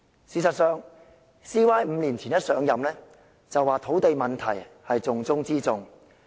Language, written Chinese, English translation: Cantonese, 事實上 ，CY 在5年前剛上任便說土地問題是重中之重。, As a matter of fact CY said five years ago when he was fresh in office said that the land issue was the top priority work of the Government